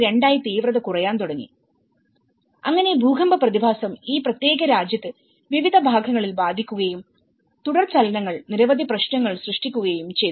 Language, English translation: Malayalam, 2 the intensity started reducing, so this is where the earthquake phenomenon has hit in this particular whole country in different parts and aftershocks also have created many issues